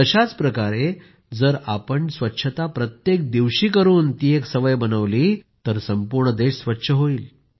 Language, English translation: Marathi, Similarly, if we make cleanliness a daily habit, then the whole country will become clean